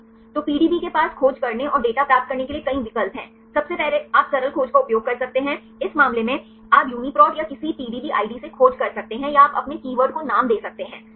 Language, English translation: Hindi, So, the PDB has several options to search and to get the data; first you can use the simple search, in this case you can search with the UniProt or any PDB ID or you can the names right any keywords